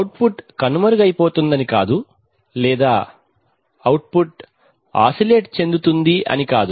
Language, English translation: Telugu, It is not that the output will run away or it is not that the output will oscillate